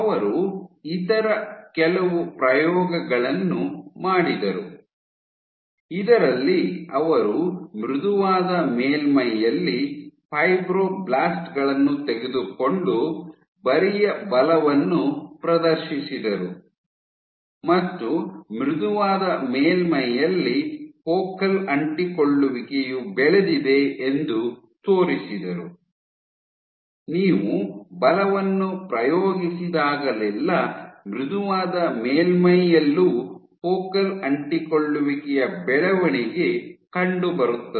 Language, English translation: Kannada, So, they did some other experiments in which on a soft surface, they took fibroblasts and exerted shear force and showed that on soft surface also focal adhesion grew; whenever you exert force, there was a growth of focal adhesion even on a soft surface